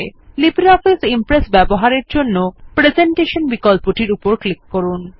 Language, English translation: Bengali, In order to access LibreOffice Impress, click on the Presentation component